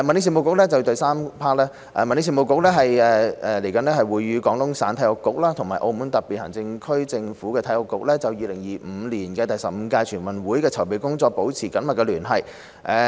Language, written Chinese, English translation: Cantonese, 三民政事務局與廣東省體育局及澳門特別行政區政府體育局就2025年第十五屆全運會的籌備工作保持緊密聯繫。, 3 The Home Affairs Bureau maintains close contact with the Sports Bureau of Guangdong Province and the Sports Bureau of the Macao SAR Government on the preparatory work for the 15th NG in 2025